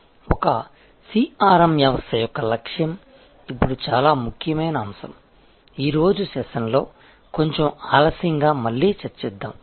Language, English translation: Telugu, The objective of a CRM system, now a very important point we will discuss it again a little later in today's session